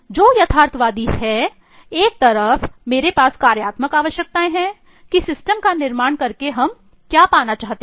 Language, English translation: Hindi, What is realistic is on one side I have the functional requirements of what needs to be achieved by building this system